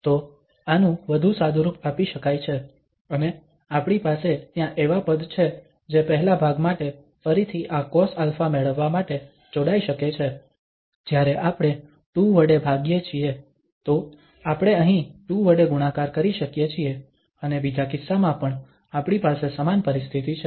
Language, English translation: Gujarati, So, this can be simplified further and we have such terms there which can be again combined to have this cos alpha for the first part when we divide by 2, so we can multiply here also by 2 and in the second case also, we have the same situation